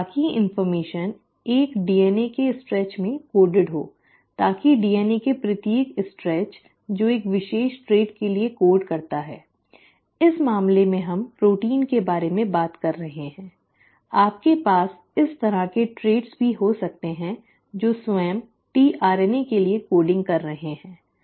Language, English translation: Hindi, So that information is coded in a stretch of DNA, so each stretch of DNA which codes for a particular trait; in this case we are talking about proteins, you can also have traits like, which are coding for the tRNA itself